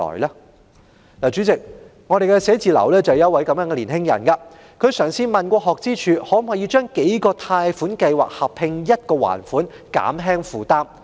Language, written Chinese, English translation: Cantonese, 代理主席，我的辦事處有位年青人正身處這種狀況，他曾詢問學資處可否合併數個貸款計劃一同還款，以減輕負擔？, Deputy Chairman a youngster in my office is exactly in such a plight . He has asked SFO whether several loan schemes can be combined for joint repayment to alleviate his burden